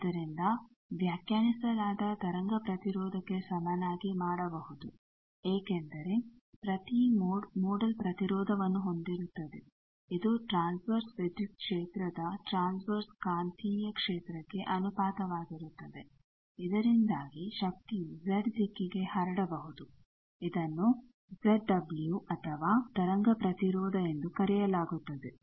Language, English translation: Kannada, So, defined can be made equal to the wave impedance because every mode has a modal impedance which is the ratio of the transverse electric field to transverse magnetic field, so that the power can propagate to Z direction that is called Z dome w or wave impedance